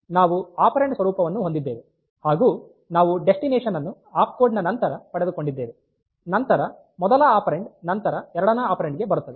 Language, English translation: Kannada, So, the operand format we have is after the opcode we have got the destination then the first operand then the second operand